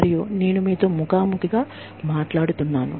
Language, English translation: Telugu, And, I am talking to you, face to face